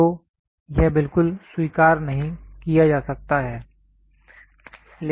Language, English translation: Hindi, So, this cannot be accepted at all